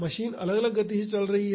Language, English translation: Hindi, The machine is running at different speeds